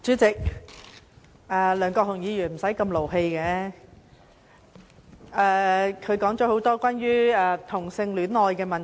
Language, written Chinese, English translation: Cantonese, 主席，梁國雄議員無須動氣，他說了很多關於同性戀愛的問題。, Chairman Mr LEUNG Kwok - hung needs not be so angry . He has spoken at length on homosexuality